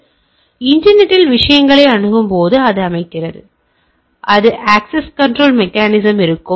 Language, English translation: Tamil, So, they are while you are accessing things over net internet it set that so that is what will be the access control mechanism right